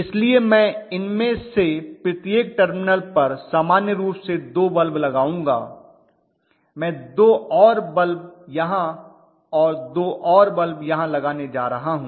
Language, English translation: Hindi, So I will put normally 2 bulbs each across each of these terminal I am going to have 2 more bulbs here and I am going to have 2 more bulbs here